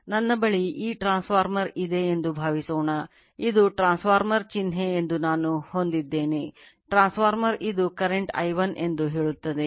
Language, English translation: Kannada, Suppose I have this suppose I have this transformer I have that this is a transformer symbol I have the transformer say this is my current I 1, right